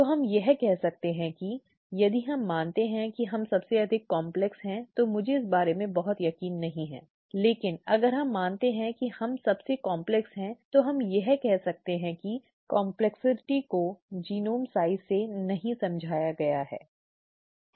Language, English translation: Hindi, So we can say that, if we assume that we are the most complex I, I am not very sure about that, but if we assume that we are the most complex we can say that the complexity is not explained by genome size, right